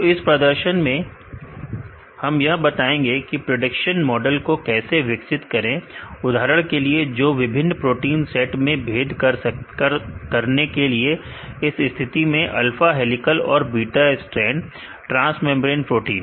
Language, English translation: Hindi, So, in this demonstration we will explain how to develop a prediction model for example, to discriminate two different sets of proteins, in this case alpha helical and beta strand transmembrane proteins